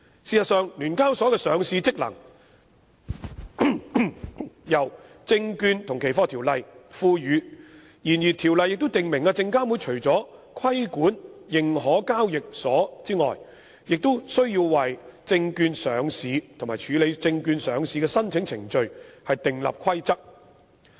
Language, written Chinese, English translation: Cantonese, 事實上，聯交所的上市職能由《證券及期貨條例》所賦予，然而《條例》亦訂明證監會除規管認可交易所外，亦須為證券上市及處理證券上市的申請程序訂立規則。, Actually SEHK is empowered by the Securities and Futures Ordinance to perform the listing function . But the Ordinance also stipulates that apart from regulating exchange companies SFC shall formulate rules on stock market listing and the procedure for processing applications for stock market listing